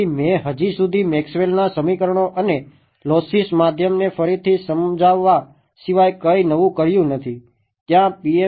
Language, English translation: Gujarati, So, so far I have not done anything new except just reinterpret Maxwell’s equations and lossy media right there is no mention whatsoever of PML ok